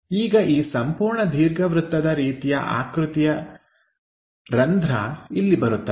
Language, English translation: Kannada, Now this entire elliptical kind of slot comes here